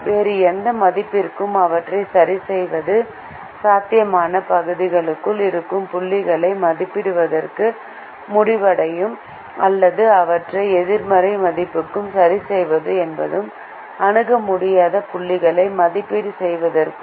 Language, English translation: Tamil, fixing them to any other value would end up evaluating points which are inside the feasible region, or fixing them to negative values would mean evaluating infeasible points